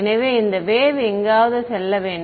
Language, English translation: Tamil, So, that wave has to go somewhere